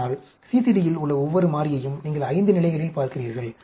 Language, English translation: Tamil, But, each variable in CCD you are looking at 5 levels